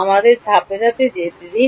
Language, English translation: Bengali, Let us go step by step